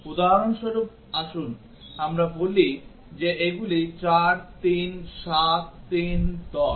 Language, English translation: Bengali, Let us, for example, let us say that these are 4, 3, 7, 3, 10